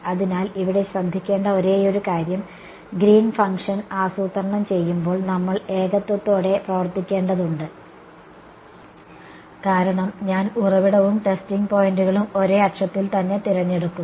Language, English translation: Malayalam, So, the only thing to be careful about here is that, we will have to work out the Green's function with the singularity because I am choosing the source and testing points to be up along the same axis